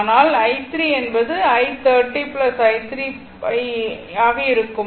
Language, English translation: Tamil, So, i t is equal to 3 plus 2